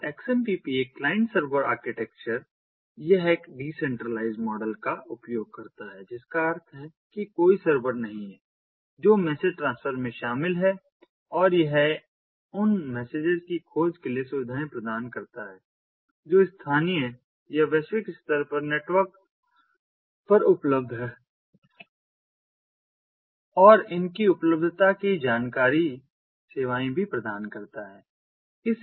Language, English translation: Hindi, so xmpp uses a client server architecture, it uses a decentralized model, meaning that there is no server that is involved in the message transfer, and it provides facilities for discovery of messages which are residing locally or globally across the network and the availability information of these services